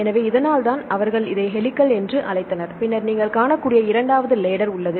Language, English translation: Tamil, So, this is why they called this as helix right and then the second one you can see there is this kind of a ladder